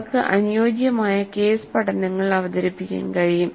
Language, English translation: Malayalam, They can present suitable case studies